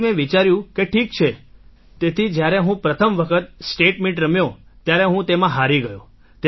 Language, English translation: Gujarati, So I thought okay, so the first time I played the State Meet, I lost in it